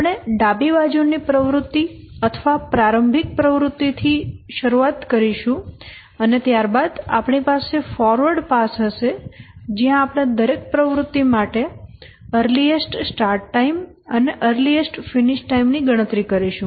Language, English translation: Gujarati, We will start with the leftmost activity or the start activity and then we'll have a forward pass where we will compute for every activity the earliest start and the earliest finish